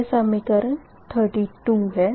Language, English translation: Hindi, this is equation thirty four